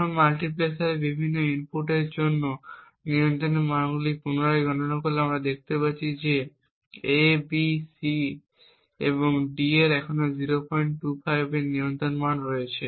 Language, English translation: Bengali, Now recomputing the control values for these various inputs to the multiplexer we see that A, B, C and D still have a control value of 0